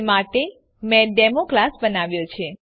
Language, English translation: Gujarati, For that I have created a class Demo